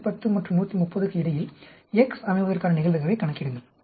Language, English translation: Tamil, So, the probability having between 110 and 130 of x, is 0